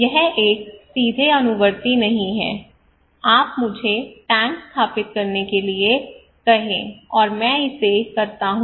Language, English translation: Hindi, It is not a straight follow up you ask me to do to install the tank, and I do it